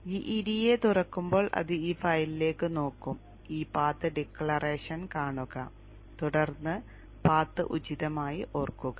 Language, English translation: Malayalam, So when GEDA opens up, it will look into this file, see this path declaration and then appropriately remember the path